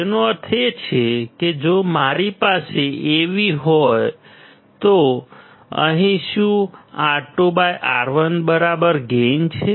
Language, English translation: Gujarati, It means that if I have Av then what is the gain equal to here